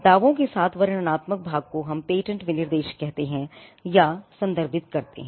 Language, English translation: Hindi, So, the descriptive part along with the claims is what we call or refer to as the patent specification